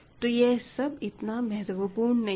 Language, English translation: Hindi, So, this is also anyway that is not important